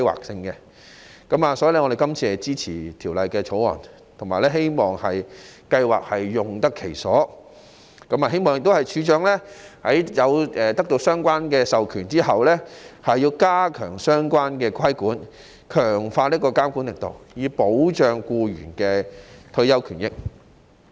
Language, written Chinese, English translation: Cantonese, 所以，我們支持《條例草案》，希望職業退休計劃用得其所，並希望處長得到相關授權後，加強相關規管、強化監管力度，以保障僱員的退休權益。, Therefore we support the Bill in the hope that OR Schemes will be used properly and that the Registrar after acquiring the relevant authorization will step up the relevant regulation and strengthen regulatory efforts so as to protect employees retirement benefits